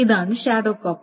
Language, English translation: Malayalam, This is a shadow copy